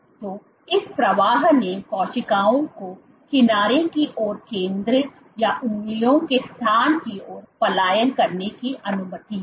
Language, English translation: Hindi, So, this flow allowed cells to migrate from the center towards the edges or towards the location of the fingers